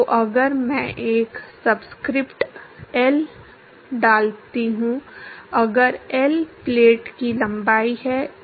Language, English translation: Hindi, So, if I put a subscript L, if L is the length of the plate